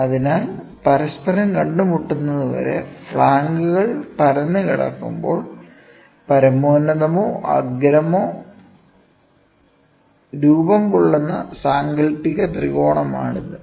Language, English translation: Malayalam, So, it is the imaginary triangle that is formed when the flank are extended till they meet each other to form an apex or vertex